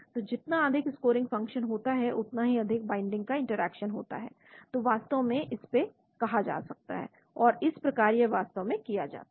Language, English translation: Hindi, So higher is the scoring function, higher is the binding of interaction that is what is called actually, this is how it is performed actually